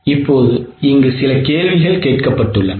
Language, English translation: Tamil, Now there were few questions which were asked